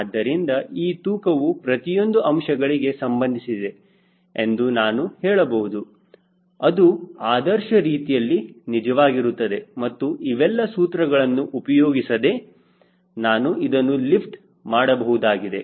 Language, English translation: Kannada, so finally, if you find weight gets linked to everything, which is ideally true also without going into all these equation, after all i am going to able to lift something